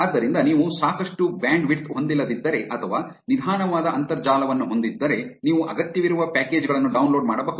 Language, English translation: Kannada, So, if you do not have enough bandwidth or have slow internet, you can just download the packages that are required